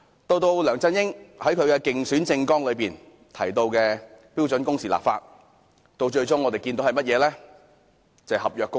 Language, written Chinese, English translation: Cantonese, 此外，梁振英在競選政綱提到就標準工時立法，但我們最終看到的是合約工時。, In addition LEUNG Chun - ying talked about enacting legislation on standard working hours in his election manifesto but finally the proposal on contractual working hours is raised instead